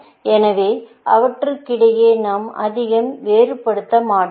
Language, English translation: Tamil, So, we will not distinguish too much between them